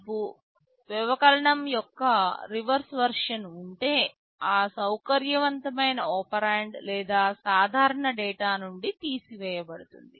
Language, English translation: Telugu, If you have a reverse version of subtract then that flexible operand can be subtracted from or the normal data